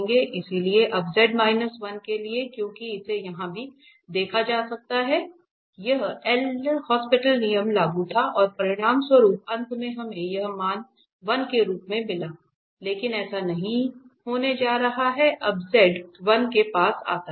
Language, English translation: Hindi, So, for z minus 1 now because this can be also observed here because here the L'Hopital rule was applicable and as a result finally we got this value as 1 but this is not going to be the case when z approaches to 1